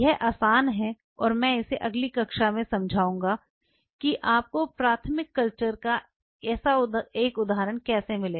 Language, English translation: Hindi, Which is easy and I will kind of explain this one in the next class how you would get one such example of primary culture